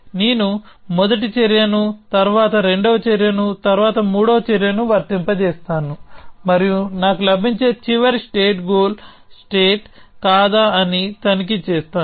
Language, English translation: Telugu, I will apply the first action, then the second action, then the third action and so on and check whether the last state that I get is the goal state or not